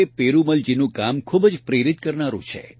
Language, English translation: Gujarati, Perumal Ji's efforts are exemplary to everyone